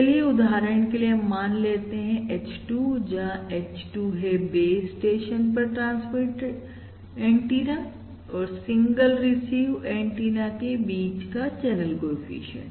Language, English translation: Hindi, Similarly, H3 is the channel coefficient between transmit antenna 3 and the single receive antenna